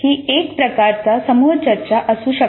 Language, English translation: Marathi, It can be some kind of a group discussion